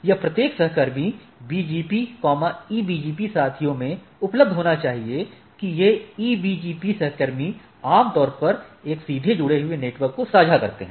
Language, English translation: Hindi, So, it should be available in each peer BGP, EBGP peers that these EBGP peers statically a typically share a directly connected network